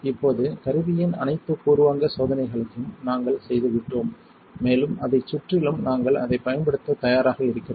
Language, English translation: Tamil, So now, that we have done all the preliminary checks of the tool and it is surroundings we are ready to start using it